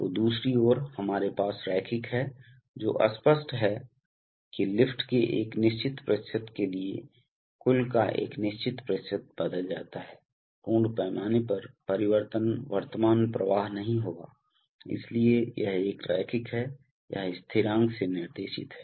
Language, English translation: Hindi, So, on the other hand we have linear, which is obvious that is for a certain percent of lift change a certain fixed percentage of the total, full scale change not current flow will take place, so it is a linear, it is guided by constant